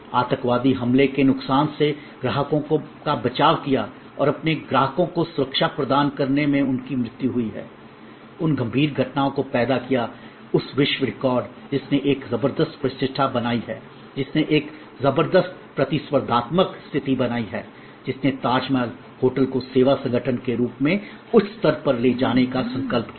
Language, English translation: Hindi, Protected the clients from harm the terrorist attack and what the died in providing safety and security to their customers has created those serious of incidences that whole record that has created a tremendous reputation, that has created a tremendous competitive position that has catapulted Tajmahal hotel to merge higher level as it service organization